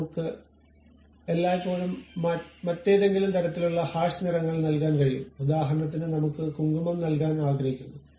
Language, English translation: Malayalam, So, I can always give some other kind of hashed kind of colors for example, I would like to give saffron